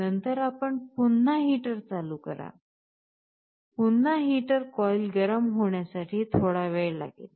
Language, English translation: Marathi, Later, you again turn on the heater, again heater will take some time for the coil to become hot